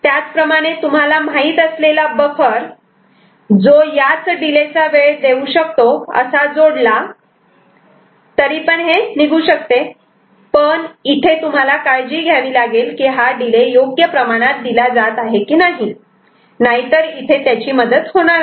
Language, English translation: Marathi, Similarly, if you can add you know a buffer which is providing this amount of delay ok, but that is we only to be careful that this delay is added in appropriate amount; otherwise it will not help the situations